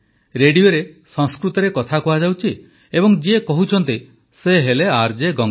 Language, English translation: Odia, This was Sanskrit being spoken on the radio and the one speaking was RJ Ganga